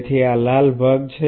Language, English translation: Gujarati, So, this is the red part